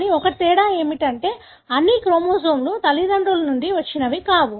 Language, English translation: Telugu, But, only difference is that not all chromosomes are from both parents